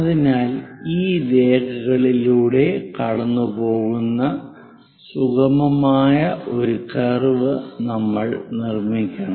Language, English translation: Malayalam, And after that join a smooth curve which pass through all these lines